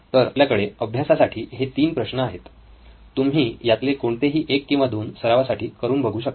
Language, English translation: Marathi, I am going to give you 3 problems, you can pick one, pick 2 for practice